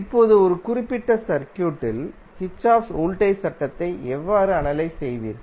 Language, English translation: Tamil, Now, how you will analyze the Kirchhoff voltage law in a particular circuit